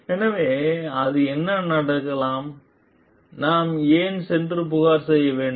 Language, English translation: Tamil, So, it may so happen like the what, why should I go and complain